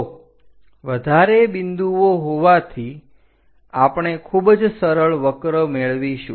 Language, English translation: Gujarati, So, having many more points, we will be going to have a very smooth curve there